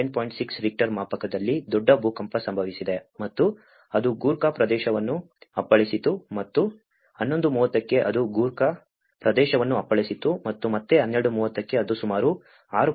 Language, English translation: Kannada, 6 Richter scale which has hitted in the Nepal and it hitted the Gorkha region and at 11:30 it has striked the Gorkha region and again at 12:30 it has received about 6